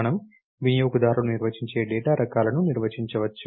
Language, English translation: Telugu, We can define user define data types